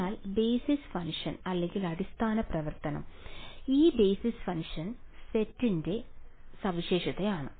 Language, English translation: Malayalam, So, basis function so it is characterized by set of basis function